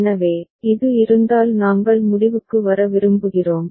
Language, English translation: Tamil, So, if this we would like to conclude